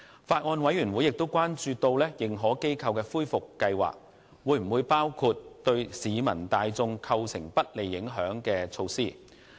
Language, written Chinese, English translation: Cantonese, 法案委員會亦關注到認可機構的恢復計劃會否包括對市民大眾構成不利影響的措施。, The Bills Committee also expresses concerns about whether the recovery plan of AIs will include measures which will adversely affect the general public